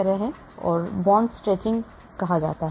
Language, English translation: Hindi, so this is called the bond stretching